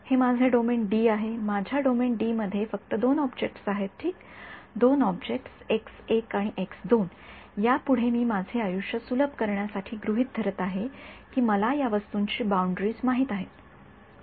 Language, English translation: Marathi, This is my domain D; my domain D has only two objects ok, two objects x 1 and x 2 and further what I am assuming to make my life easier that I know the boundaries of these objects ok